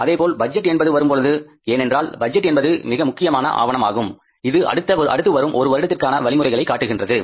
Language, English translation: Tamil, Similarly when the budget comes, so budget is a very important document which gives a direction to the economy for the next one year